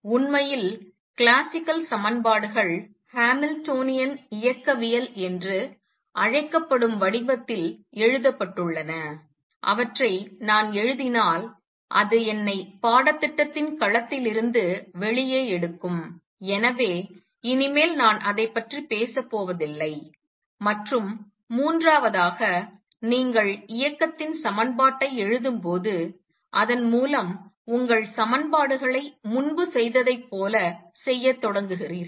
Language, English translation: Tamil, In fact, the classical equations are written in the form which is known as Hamiltonian dynamics and if I write those that will take me out of the domain of this course and therefore, I am not going to dwell on that any further and third when you write the equation of motion and then through that you start doing your equations as was done earlier